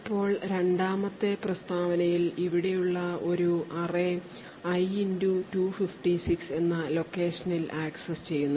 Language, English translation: Malayalam, Now in the second statement an array which is present over here is accessed at a location i * 256